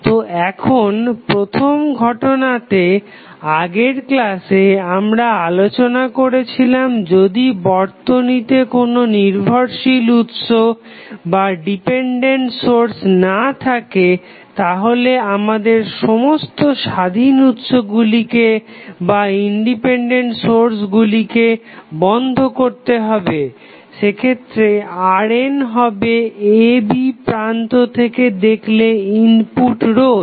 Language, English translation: Bengali, So, now, in case 1 in the last class we discuss if the network has no dependence source, then what we have to do we have to turn off all the independent sources and in that case R n would be the input resistance of the network looking between the terminals A and B